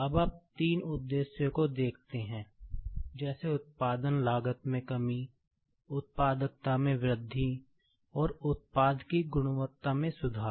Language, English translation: Hindi, Now, you see the three objectives, like reduced production cost, increased productivity, and improved product quality